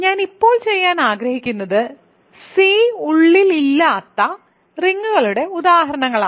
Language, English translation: Malayalam, So, what I want to do now is give you examples of rings that cannot be that are not inside C